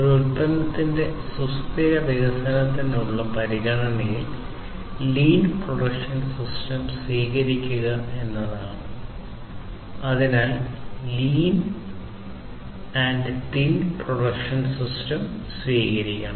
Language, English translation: Malayalam, So, one of the considerations for such kind of sustainable development of a product is to have the adoption of lean production system